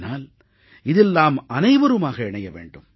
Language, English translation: Tamil, But we must all come together